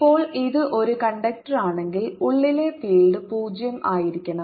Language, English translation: Malayalam, now you see, if this is a conductor, field inside has to be zero